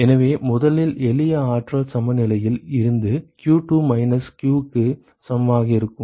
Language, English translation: Tamil, So, first from simple energy balance it will be q2 will be equal to minus q ok